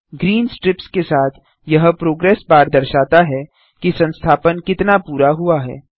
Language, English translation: Hindi, This progress bar with the green strips shows how much of the installation is completed